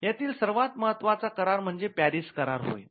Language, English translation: Marathi, Now, the most important agreement is what we call the PARIS convention